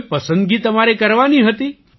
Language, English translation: Gujarati, Did you have to make any selection